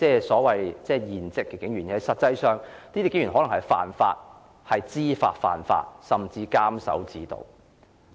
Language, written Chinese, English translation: Cantonese, 事實上，警員可能知法犯法，甚至監守自盜。, In fact there is a chance that police officers may break the law knowingly or even abuse their official authority